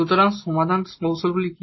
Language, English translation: Bengali, So, what are the solution methods